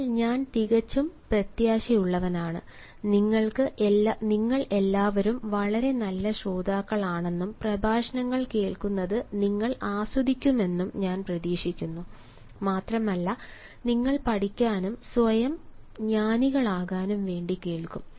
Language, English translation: Malayalam, but i am quite hopeful and i anticipate that all of you are very good listeners and you will enjoy listening not only to the lectures, but you will also listen it to learn and listen it to make yourself wise enough